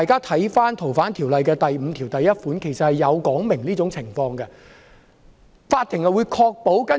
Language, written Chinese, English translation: Cantonese, 《逃犯條例》第51條對這種情況作出了規定。, Section 51 of the Fugitive Offenders Ordinance provides for such a scenario